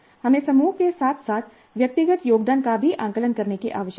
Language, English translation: Hindi, And we also need to assess group as well as individual contributions that needs to be assessed